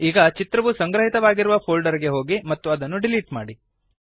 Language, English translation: Kannada, Now, go the folder where the image is stored and delete the image